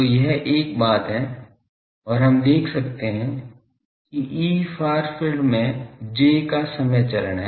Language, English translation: Hindi, So, this is one thing and we can see that E far field has a time phase of j